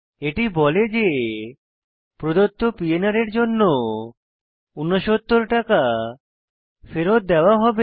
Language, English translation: Bengali, It says that, Rs.69 will be refunded for the PNR given here